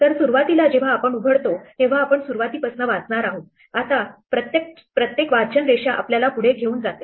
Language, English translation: Marathi, So, initially when we open we are going to read from the beginning, now each readline takes us forward